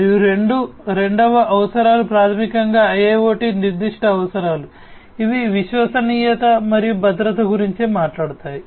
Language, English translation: Telugu, And the second set of requirements are basically the IIoT specific requirements, which talk about reliability and safety